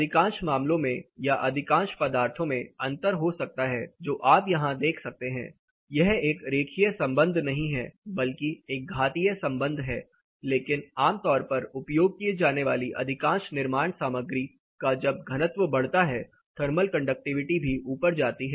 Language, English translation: Hindi, In the most of the cases that is most of the materials there can be differences that is what I actually you see it is not like a linear relation it is a exponential relation, but typically as the density increases for most of the construction material used in building envelop the thermal conductivity is going to go up